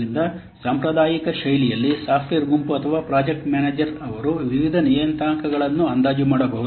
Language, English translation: Kannada, So, in a traditional fashion, the software group or the project manager, they can estimate the various parameters